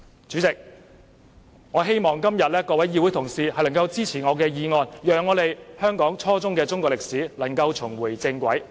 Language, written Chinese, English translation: Cantonese, 主席，我希望各位議會同事今天會支持我的議案，讓香港初中中史重回正軌。, President I hope that Honourable colleagues will support my motion today to bring Chinese history education at junior secondary level in Hong Kong back on the right track